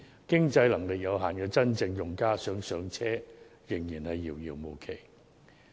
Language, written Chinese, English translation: Cantonese, 經濟能力有限的真正用家想"上車"，仍然遙遙無期。, Home ownership is still very distant for genuine users with limited financial means